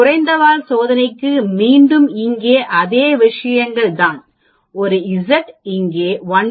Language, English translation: Tamil, So for a lower tailed test again it is the same things here, a z is equal to minus 1